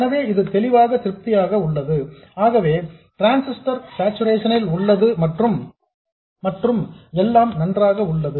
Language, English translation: Tamil, So, clearly this is satisfied so the transistor is in saturation and everything is fine